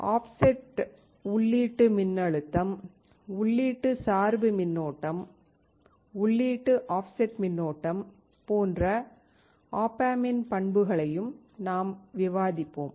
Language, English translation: Tamil, We will also discuss the the characteristics of op amp like offset input voltage, input bias current, input offset current etc